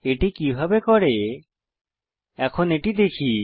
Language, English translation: Bengali, Let us see how it it done